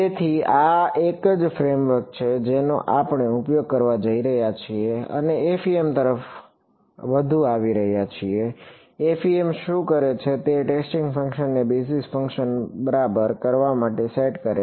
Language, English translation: Gujarati, So, this is the same framework that we are going to use and coming more towards the FEM right; what FEM does is it sets the testing function to be equal to the basis function ok